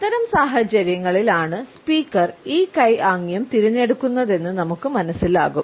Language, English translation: Malayalam, In those situations when we find that the speaker has opted for this hand gesture